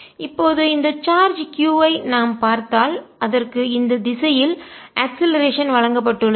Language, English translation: Tamil, if i look at this charge which was given an acceleration in this direction